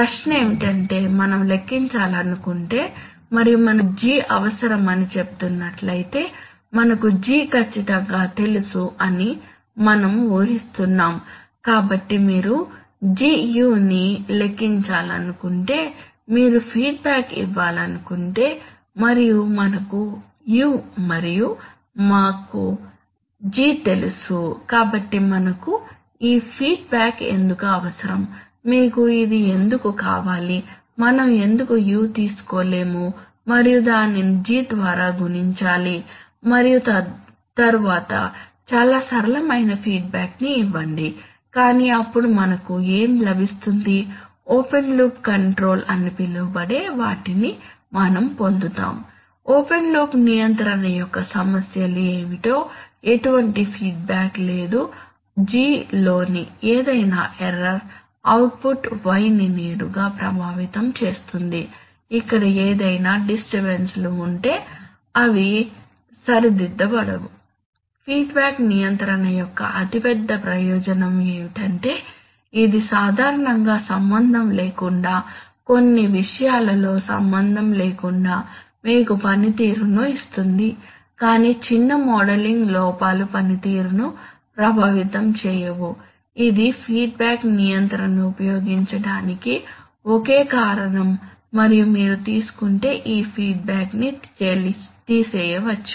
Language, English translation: Telugu, That is the question is that if we want to calculate Gu then and we are saying that we need G, we are assuming that we know G accurately, so if you want to calculate Gu and give feedback and if we have u and, we know G, so then why do we need this feedback at all, why do you need this, why can't we just take u and then multiply it by G and then give a feedback that is most simple but what do we get then, we get what is known as, we get what is known as open loop control, there is no feedback what are the problems of open loop control, that any error in G will directly affect the output y any disturbance here, Will not get corrected, the biggest biggest advantage of feedback control is that it gives you performance irrespective of, generally irrespective of, of course you have to know certain things but small modeling errors do not affect performance, that is the single reason for which feedback control is used and if you take this feedback away